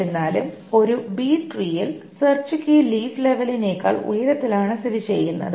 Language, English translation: Malayalam, However, what may happen is that in a B tree, the search key is located higher up than the level of the leaf